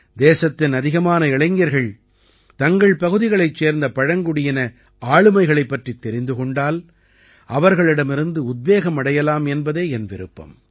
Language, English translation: Tamil, I hope that more and more youth of the country will know about the tribal personalities of their region and derive inspiration from them